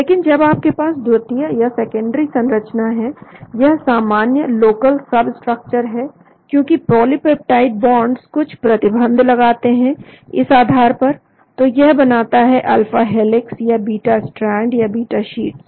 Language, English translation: Hindi, But when you have the secondary structure, these regular local substructures because the polypeptide bonds have some constraints on the backbone, so it forms alpha helix or beta strands or beta sheets